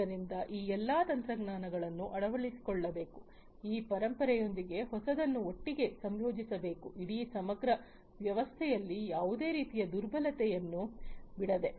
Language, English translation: Kannada, So, all these technologies should be adopted, the newer ones with that legacy ones should be all integrated together leave it without leaving any kind of vulnerability in the whole integrated system